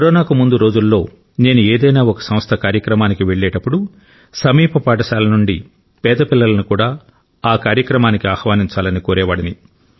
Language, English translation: Telugu, Before Corona when I used to go for a face to face event at any institution, I would urge that poor students from nearby schools to be invited to the function